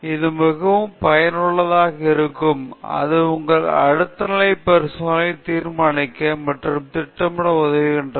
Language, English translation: Tamil, This is very useful, it helps you to decide and plan your next level of experiments